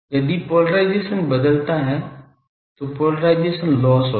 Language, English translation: Hindi, If polarization change , then there will be polarization loss